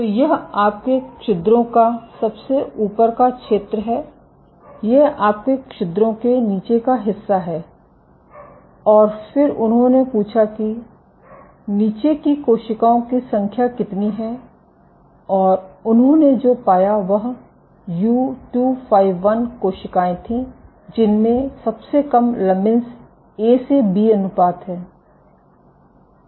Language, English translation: Hindi, So, this is your top of your pores so this is the bottom of your pores and then they asked that how many over the number of cells at the bottom and what they found was so U251 cells, which have the lowest lamin A to B ratio